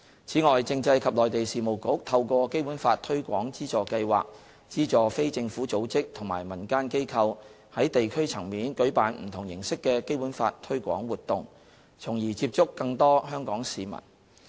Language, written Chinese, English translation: Cantonese, 此外，政制及內地事務局透過"《基本法》推廣資助計劃"資助非政府組織及民間機構，在地區層面舉辦不同形式的《基本法》推廣活動，從而接觸更多香港市民。, In addition the Constitutional and Mainland Affairs Bureau provides sponsorship for non - government organizations and community organizations through the Basic Law Promotion Sponsorship Scheme to organize different forms of Basic Law promotion activities at the district level to reach a wider Hong Kong audience